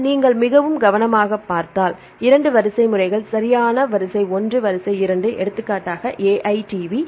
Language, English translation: Tamil, See if you look into this very carefully there are 2 sequences right sequence 1 sequence 2 for example, AITV